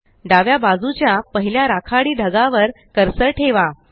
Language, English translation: Marathi, Then place the cursor on the first grey cloud to the left